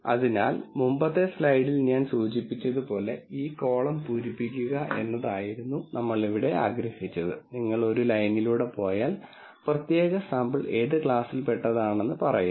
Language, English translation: Malayalam, So, as I mentioned in the previous slide what we wanted was to fill this column and if you go across row then it says that particular sample belongs to which class